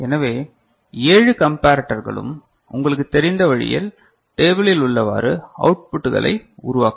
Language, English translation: Tamil, So, 7 comparators will be generating output the way we have you know